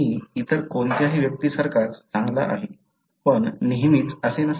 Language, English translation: Marathi, I am as good as any other person, but that is not always the case